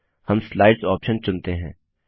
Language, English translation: Hindi, We will choose the Slides option